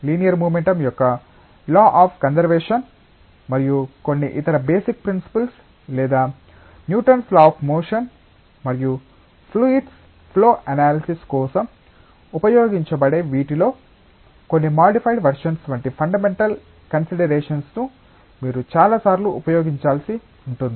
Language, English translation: Telugu, And many times one may you one may need to use fundamental considerations like say law of conservation of linear momentum and some other basic principles or Newton s laws of motion, and some modified versions of these which can be used for fluid flow analysis